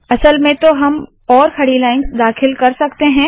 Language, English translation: Hindi, As a matter of fact, we can put more vertical lines